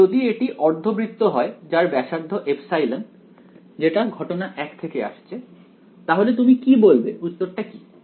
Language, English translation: Bengali, So, if this is a semicircle of radius epsilon coming from case 1 over here, what should what will you say this answer is